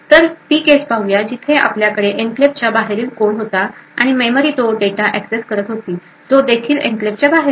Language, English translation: Marathi, So, let us consider the case where we have code present outside the enclave, and it is making a memory access to data which is also present outside the enclave